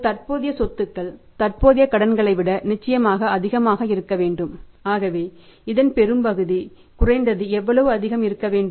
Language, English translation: Tamil, Your current assets have to be certainly more than the current liabilities the current assets have to be certainly more than the current liabilities have to be greater than the current liabilities so that is the greater part is how much more that is at least one third level of the current liability should be more